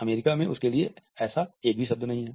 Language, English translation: Hindi, In the US there is no such single word for that